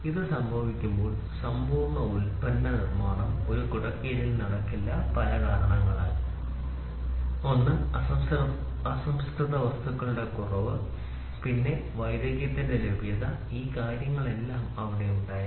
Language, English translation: Malayalam, So, when this has to happen, the complete product manufacturing could not happen and one under one umbrella, due to several reasons available of raw material then availability of expertise all these things were there